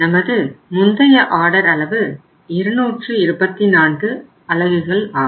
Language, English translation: Tamil, Our order size earlier was how much 224 units